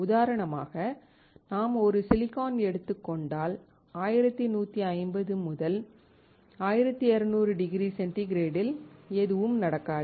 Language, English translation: Tamil, For example, if we take a silicon, nothing will happen to it at 1150 to 1200 degree centigrade